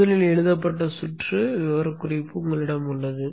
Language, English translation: Tamil, You have the specification of the circuit written first